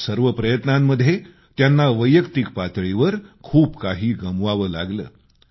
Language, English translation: Marathi, In this endeavour, he stood to lose a lot on his personal front